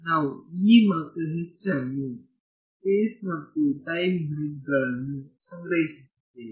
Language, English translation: Kannada, We were storing the E’s and the H at space and time grids